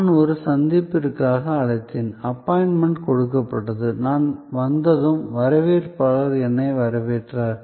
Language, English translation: Tamil, So, I called for an appointment, an appointment was given, when I arrived the receptionist greeted me